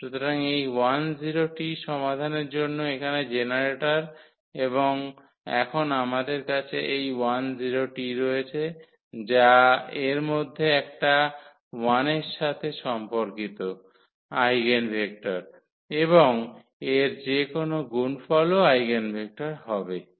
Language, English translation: Bengali, So, this 1 0 is the is the generator here for the solution and now that is what we have this 1 0 is one of the eigenvectors corresponding to 1 and any multiple of this will be also the eigenvector